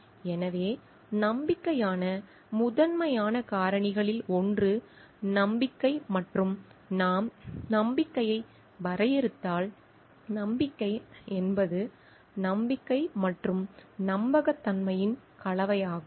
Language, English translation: Tamil, So, one of the primary factor for trust is of all this thing is trust and if we define trust, trust is a combination of confidence and reliance